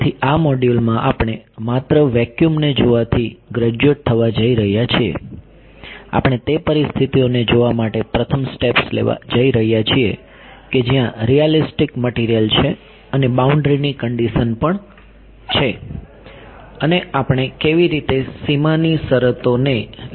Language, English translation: Gujarati, So, in this module we are going to graduate from looking at just vacuum, we are going to make the first steps to look at the situations where there are realistic materials and also boundary conditions how we will impose boundary conditions right